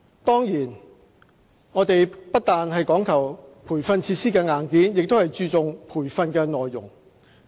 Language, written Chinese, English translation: Cantonese, 當然，我們不但講求培訓設施的硬件，亦注重培訓的內容。, Of course we do not only care about the hardware of the training facility we also concern about the content of the training